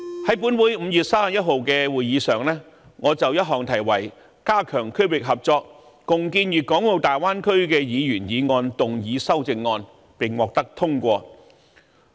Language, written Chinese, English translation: Cantonese, 在本會5月31日的會議上，我曾就題為"加強區域合作，共建粵港澳大灣區"的議員議案動議修正案，並獲得通過。, In the Legislative Council meeting on 31 May I moved an amendment to a Members motion on Strengthening regional collaboration and jointly building the Guangdong - Hong Kong - Macao Bay Area and secured the support of Members for its passage